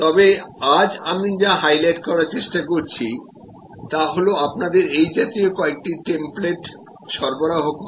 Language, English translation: Bengali, But, today what I am trying to highlight to you is to provide you with some templates like this one